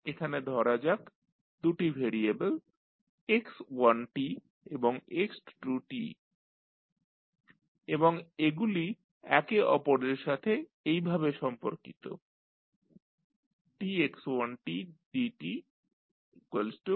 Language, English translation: Bengali, Let us see there are two variables x1 and x2 and this are related with each other as dx1 by dt is equal to x2